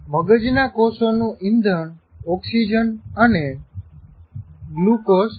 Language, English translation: Gujarati, Brain cells consume oxygen and glucose for fuel